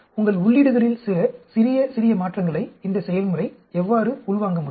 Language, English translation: Tamil, How the process is able to absorb small, small changes in your inputs